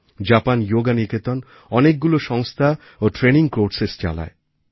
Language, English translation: Bengali, Japan Yoga Niketan runs many institutes and conducts various training courses